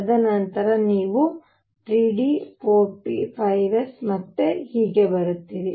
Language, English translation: Kannada, And then you come to 3 d, 4 p, 5 s and so on